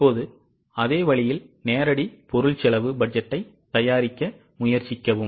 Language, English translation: Tamil, Now same way try to prepare direct material cost budget